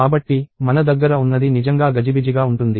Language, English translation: Telugu, So, what we have is something really cumbersome